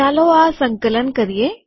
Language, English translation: Gujarati, Let us compile it